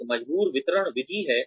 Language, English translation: Hindi, There is a forced distribution method